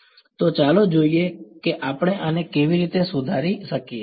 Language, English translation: Gujarati, So, let us see how we can modify this